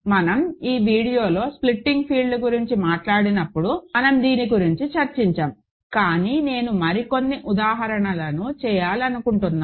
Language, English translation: Telugu, So, in the video when we talked about splitting fields, we did discuss this, but I want to just do some more examples